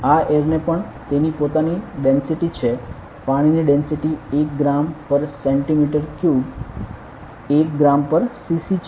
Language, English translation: Gujarati, This air also has its density water has its density of like 1 gram per centimetre cube 1 gram per cc right